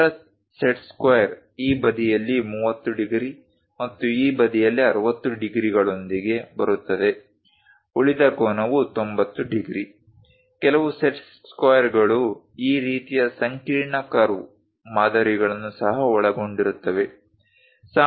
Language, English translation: Kannada, The other set square comes with 30 degrees on this side and 60 degrees on this side; the remaining angle is 90 degrees; some of the set squares consists of this kind of complicated curve patterns also